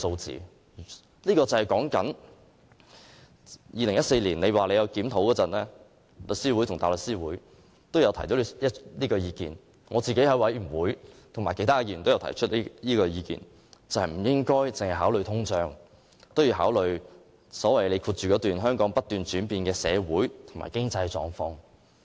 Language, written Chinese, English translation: Cantonese, 政府在2014年曾進行檢討，當時香港律師會和香港大律師公會也有提出這意見，而我與其他委員在小組委員會上亦提出不應該只考慮通脹，亦要考慮本港不斷轉變的社會和經濟狀況。, The Law Society of Hong Kong and the Hong Kong Bar Association also raised this point in response to the review on the bereavement sum conducted by the Government in 2014 . In the subcommittee meeting to discuss the amendment along with some other members I have also pointed out that the proposed increase should take into account not only inflation but also changing social and economic conditions of Hong Kong